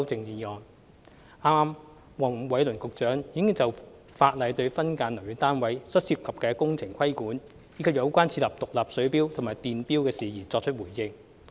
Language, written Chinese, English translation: Cantonese, 剛才黃偉綸局長已就現行法例對分間樓宇單位所涉工程的規管，以及有關設立獨立水錶和電錶的事宜作回應。, Just now Secretary Michael WONG has responded to matters relating to the regulation of building works associated with subdivided units under the current legislation and the installation of separate water and electricity meters